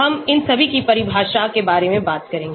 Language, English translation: Hindi, We will talk about what the definitions of all these